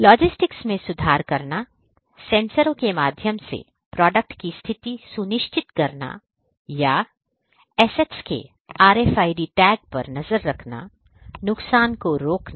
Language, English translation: Hindi, Improving logistics, ensuring product location through sensors or RFID tags tracking of assets to prevent loss